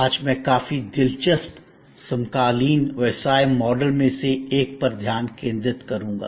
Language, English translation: Hindi, Today, I will focus on one of the quite interesting contemporary business model